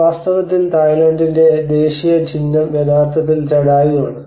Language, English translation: Malayalam, So, in fact, the national symbol of Thailand is actually Jatayu